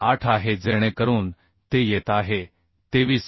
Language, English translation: Marathi, 8 so that is coming 23